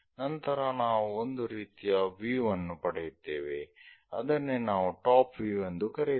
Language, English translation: Kannada, Then, we will get one kind of view, that is what we call top view